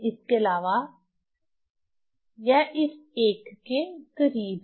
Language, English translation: Hindi, So, it will be close to this one